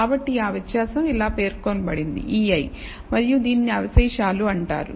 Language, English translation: Telugu, So, that difference is designated as e i, and it is called the residual